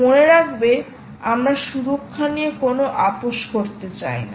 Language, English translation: Bengali, you dont want to compromise on security